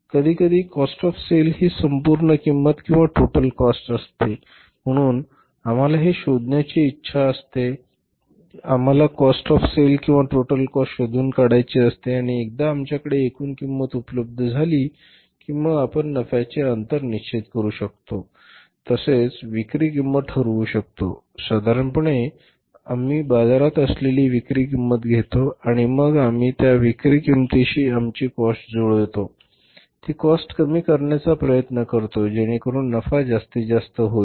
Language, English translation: Marathi, So, this we want to find out this we want to find out the cost of sale or the total cost and once the total cost is available with us then we can determine the say profit margin as well as the selling price normally selling price we take from the market and we match our cost with the selling price, try to minimize the cost so that the profit is maximized